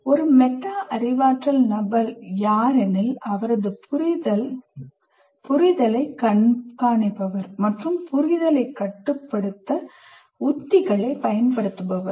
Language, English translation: Tamil, Metacognitive person is someone who monitors his or her understanding and uses strategies to regulate understanding